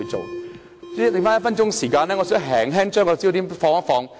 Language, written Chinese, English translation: Cantonese, 主席，餘下1分鐘時間，我想把焦點略為放大。, President in the remaining one minute I would like to slightly enlarge the focus